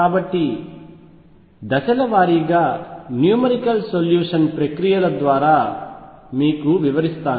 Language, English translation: Telugu, So, let me take you through he numerical solution procedures step by step